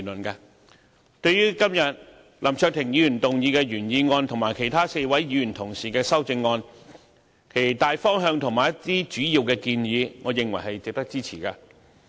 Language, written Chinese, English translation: Cantonese, 對於今天林卓廷議員動議的原議案和其他4位議員同事的修正案，其大方向和一些主要的建議，我認為是值得支持的。, I find the general direction of and some main suggestions made in Mr LAM Cheuk - tings original motion and the amendments of the other four Honourable colleagues worthy of support